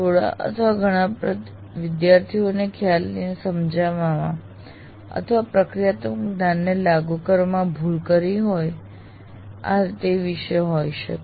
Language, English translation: Gujarati, It could be on the errors and some or many students committed with regard to understanding the concepts or in applying the procedural knowledge